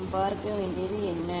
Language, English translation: Tamil, what we have to see